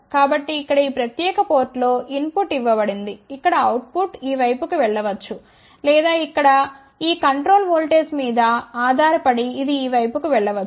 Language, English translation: Telugu, So, here input is given at this particular port here output may go to this side or it may go to this side depending upon this control voltage over here So, let us see how this IC works